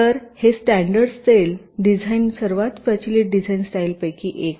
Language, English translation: Marathi, so this standard cell design is one of the most prevalent design style